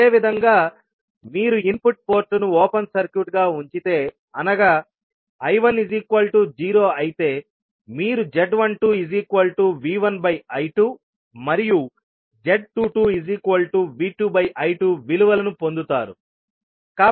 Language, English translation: Telugu, Similarly, if you keep input port as open circuited, that means that I1 equal to 0, then you will get value of Z12 as V1 upon I2 and Z22 as V2 upon I2